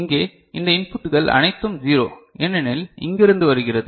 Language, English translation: Tamil, And here, all these inputs are 0 because coming from here